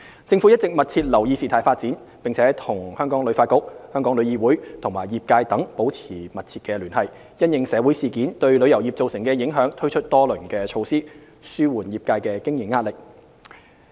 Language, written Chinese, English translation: Cantonese, 政府一直密切留意事態發展，並與香港旅遊發展局、香港旅遊業議會及業界等保持密切聯繫，因應社會事件對旅遊業造成的影響推出多輪措施，紓緩業界的經營壓力。, The Government has been closely monitoring the development of the situation and maintaining close communication with Hong Kong Tourism Board HKTB Travel Industry Council of Hong Kong TIC and the tourism industry etc . In view of the impact of social events on the tourism industry the Government has rolled out several rounds of support measures to alleviate the operating pressure of the industry